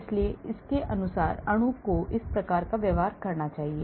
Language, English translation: Hindi, so according to them, the molecule should have this type of behaviour